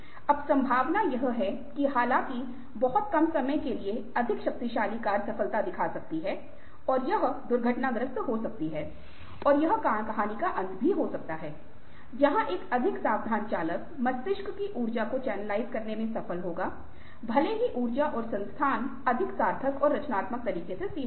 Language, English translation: Hindi, now, the possibility is that ah, although apparently for a very short period of time, the more powerful car might show success, it might crash and that might be the end of the story where, as a more careful driver will succeed in channelizing the energies of the brain, even the, if the energies and resources are limited, in a more meaningful and constructive way